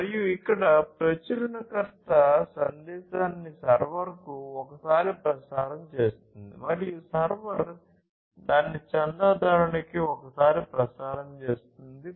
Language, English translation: Telugu, And, here the publisher transmits the message one time to the server and the server transmits it one time to the subscriber